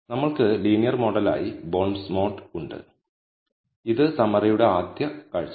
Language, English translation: Malayalam, So, we have bondsmod as the linear model, this is the first look at the summary